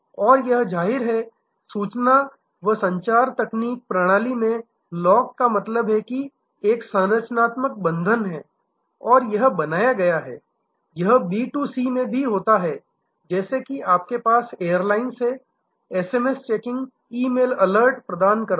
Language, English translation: Hindi, And, but; obviously, that short of lock in ICT system means are there is a structural bond and that is created, it also happens in B2C like when you have airlines who have who provide SMS checking SMS, E mail alerts